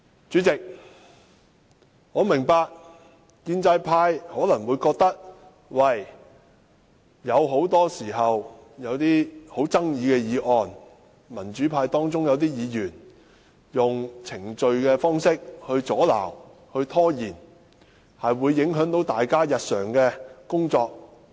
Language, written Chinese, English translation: Cantonese, 主席，我明白建制派可能覺得，民主派有些議員，很多時候以程序方式阻撓、拖延審議富爭議的議案，會影響大家的日常工作。, President I know pro - establishment Members may think that the normal functioning of this Council is affected by the frequent attempts of certain pro - democracy Members to invoke Council procedures to block or delay controversial motions . I can appreciate their concern